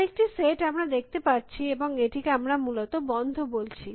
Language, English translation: Bengali, Another set let us see and we call it closed essentially